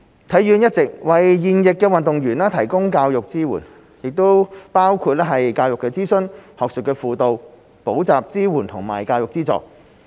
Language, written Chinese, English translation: Cantonese, 體院一直為現役運動員提供教育支援，包括教育諮詢、學術輔導、補習支援和教育資助。, HKSI has been providing education support for active athletes including educational counselling academic support tutorial support and education subsidy